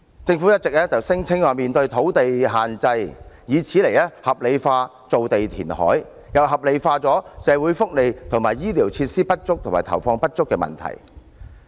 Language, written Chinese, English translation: Cantonese, 政府一直聲稱土地限制嚴重，以此來合理化填海造地，合理化社會福利和醫療設施不足和資源投放不足等問題。, The Government has always claimed that there is acute land shortage in Hong Kong an excuse to rationalize land reclamation and to rationalize the lack of social welfare services and the insufficient allocation of resources to health care facilities